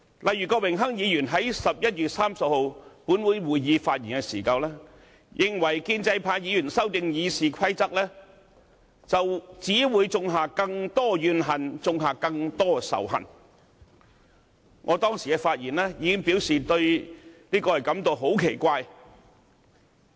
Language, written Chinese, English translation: Cantonese, 例如郭榮鏗議員於11月30日本會會議席上發言時，認為建制派議員修訂《議事規則》，只會種下更多怨恨和仇恨，我當時已發言表示對此感到非常奇怪。, For example when Mr Dennis KWOK spoke at the Council meeting held on 30 November he opined that by proposing amendments to the Rules of Procedure Members of the pro - establishment camp would only create more resentment and hatred . In response I have spoken that day and said that such remarks were really puzzling to me